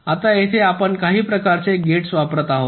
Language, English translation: Marathi, now here we are using some kind of gates